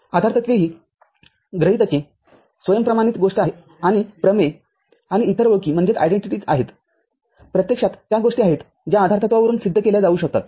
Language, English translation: Marathi, Postulates are the axioms, self evident thing and theorems and other identities are actually the ones that can be proved from the postulates